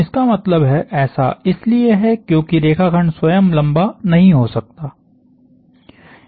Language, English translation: Hindi, That means, that is because the line segment itself cannot elongate